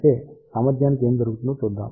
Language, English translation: Telugu, However, let us see what is happening to the efficiency